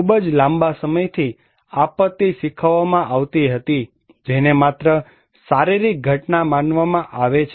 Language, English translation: Gujarati, For very very long time, disaster was taught, considered that is only a physical event